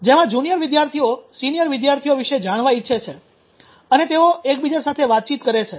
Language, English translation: Gujarati, Where the junior wants to know about seniors and they interact with each other’s